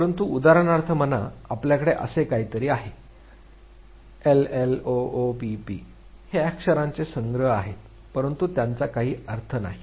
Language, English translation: Marathi, But say for example, you have something like n l a o f p these are collection of alphabets, but they does not make any sense